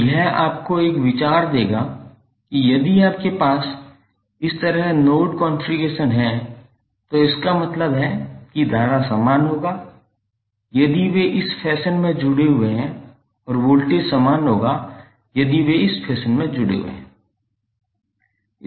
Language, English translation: Hindi, So this will give you an idea that if you have node configuration like this it means that the current will be same if they are connected in this fashion and voltage will be same if they are connected in this fashion